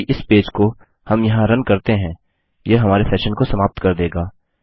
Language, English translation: Hindi, If we run this page here, it will destroy our session